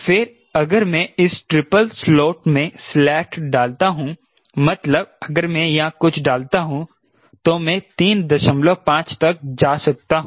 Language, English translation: Hindi, then this triple slot if i put a slat here, that is, i put something here right, then i can go up to three point five